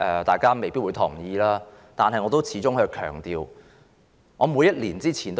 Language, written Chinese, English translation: Cantonese, 大家未必同意，但我始終要強調這點。, You may not agree with me but I must make this point after all